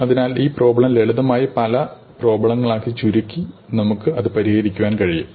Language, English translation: Malayalam, So, can we solve this problem by reducing it to a simpler problem